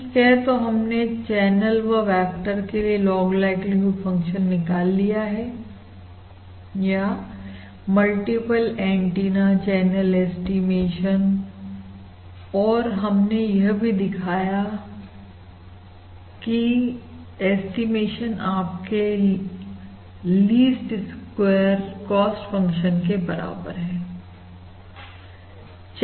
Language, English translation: Hindi, Okay, so we have derived this log likelihood function for the channel vector, or multiple antenna channel estimation and we have shown this is given by your least squares cost function and the channel estimate maximum likelihood channel estimate